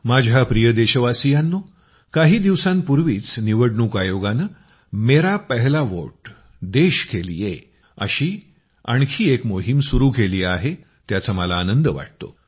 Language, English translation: Marathi, My dear countrymen, I am happy that just a few days ago the Election Commission has started another campaign 'Mera Pehla Vote Desh Ke Liye'